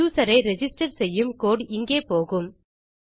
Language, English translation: Tamil, Our code to register the user will go here